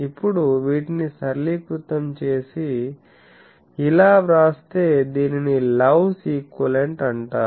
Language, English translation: Telugu, Now to simplify these you see that, if we now put so for let me write this is called Love’s equivalent